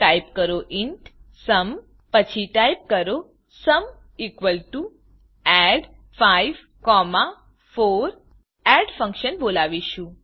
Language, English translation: Gujarati, Type int sum Then type sum = add(5,4) Here we call the add function